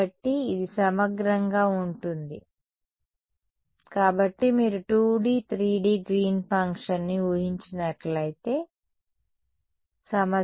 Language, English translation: Telugu, So, this is by integral so, if you assume 2D 3D Green’s function, but the problem is 2D